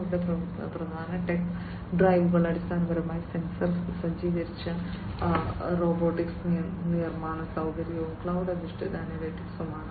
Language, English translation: Malayalam, So, their main tech drivers are basically the sensor equipped robotic manufacturing facility and cloud based analytics